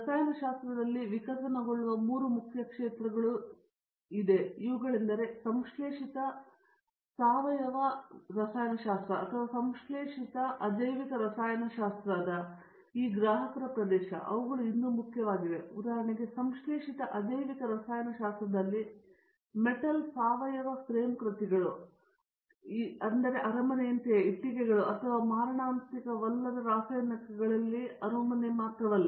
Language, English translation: Kannada, These are the three main areas which are evolving in chemistry, but it does’nt mean that this customer area of synthetic organic chemistry or synthetic inorganic chemistry, they are also still important For example, in synthetic inorganic chemistry, metal organic frame works which is just like a palace, but only thing is it is a palace in chemicals not a brick and mortal